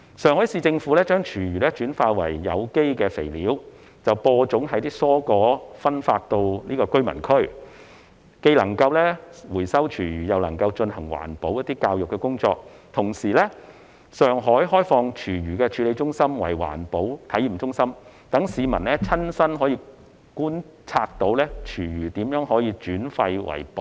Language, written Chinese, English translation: Cantonese, 上海市政府將廚餘轉化為有機肥料，再用於種植蔬果分發到居民區，既能回收廚餘又能進行環保教育工作；同時，上海亦開放廚餘處理中心作為環保體驗中心，讓市民親身觀察廚餘如何轉廢為寶。, The Shanghai Municipal Government turns food waste into organic fertilizer which is then used to grow vegetables and fruits for distribution to residential areas through which recycling of food waste and environmental protection education can be pursued concurrently . At the same time Shanghai has also made open its food waste treatment centre to serve as an environmental protection experience centre thereby enabling the public to observe with their eyes how food waste is turned into resources